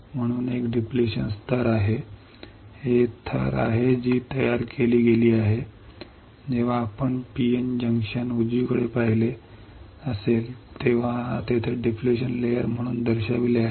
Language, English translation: Marathi, So, there is a depletion layer, this is the depletion layer that is created right that is why it is shown here as depletion layer when you have seen P N junction right